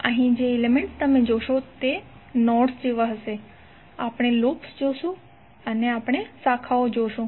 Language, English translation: Gujarati, Here the elements which you will see would be like nodes, we will see the loops or we will see the branches